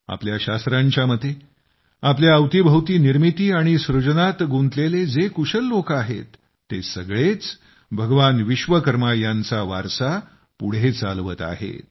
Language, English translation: Marathi, In the view of our scriptures, all the skilled, talented people around us engaged in the process of creation and building are the legacy of Bhagwan Vishwakarma